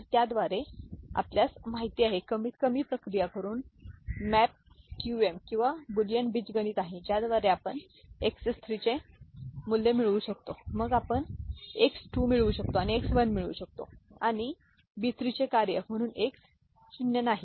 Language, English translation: Marathi, So, with that we can have a you know, minimization process KarnaughMap QM or Boolean algebra by which we can get the value of X 3 then we can get X 2, and get X 1, and X naught as a function of B 3, B 2, B 1 and B naught and you can realize it